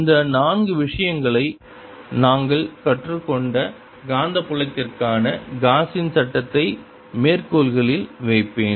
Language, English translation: Tamil, you can call this like i'll just put it in quotes gauss's law for magnetic field